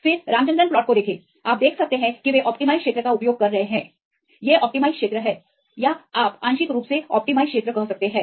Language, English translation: Hindi, Then see the Ramachandran plots you can see they are use the allowed region right these are the allowed region or you can say the partially allowed regions